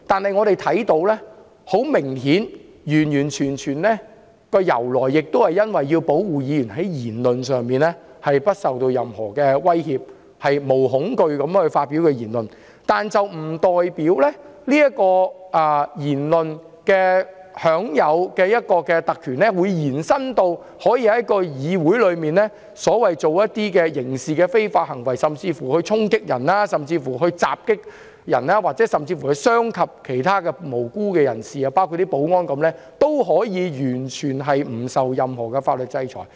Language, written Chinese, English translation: Cantonese, 很明顯，特權的由來完全是基於要保護議員在言論上不受任何威脅，可以毫無畏懼地發表言論，但不代表在言論上享有的特權可以延伸至在議會作出觸犯刑事罪行的非法行為，甚至衝擊、襲擊別人，傷及其他無辜人士，包括保安人員，而完全不受任何法律制裁。, Obviously the privileges originated solely from the need to protect Members from any threat over their speeches and enable them to speak without fear . But it does not mean the privileges they enjoy in respect of their speeches can be extended to illegal behaviour constituting criminal offences in the Council or even storming and assault hurting innocent people including security officers without being subject to any sanction in law at all